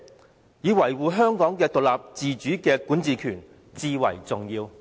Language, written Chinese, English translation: Cantonese, 反之，應把維護香港獨立自主的管治權視為最重要。, Instead she should accord first priority to safeguarding Hong Kongs autonomy